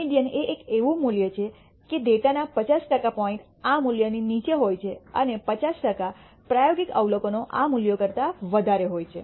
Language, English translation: Gujarati, The median is a value such that 50 percent of the data points lie below this value and 50 percent of the experimental observations are greater than this value